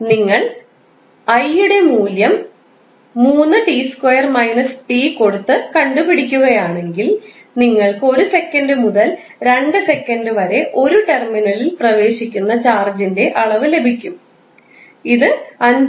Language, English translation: Malayalam, So, if you solve by putting the value of I is nothing but 3 t^2 t then multiplied by dt and solve you will get the amount of charge entering in a terminal between time 1 second to 2 second and that is 5